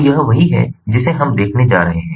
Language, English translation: Hindi, so this is what we are going to look at